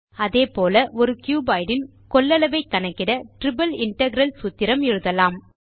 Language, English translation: Tamil, Similarly, we can also use a triple integral to find the volume of a cuboid